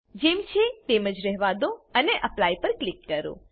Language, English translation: Gujarati, Lets leave as it is and click on Apply